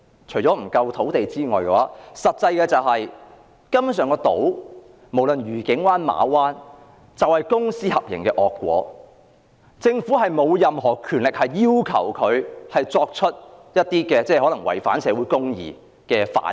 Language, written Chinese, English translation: Cantonese, 除了土地不足外，真正的原因是，無論愉景灣或馬灣根本就是公私合營的惡果，政府沒有任何權力要求集團就一些可能違反社會正義的行為作出反應。, Apart from insufficient land the actual reason is the evil consequence of public - private partnership be it the Discovery Bay or Ma Wan . The Government is powerless in urging any consortium to respond to acts that may possibly violate social justice